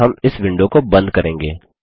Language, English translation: Hindi, And we will close this window